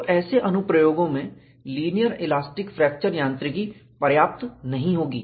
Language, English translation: Hindi, So, in such applications, linear elastic fracture mechanics would not be sufficient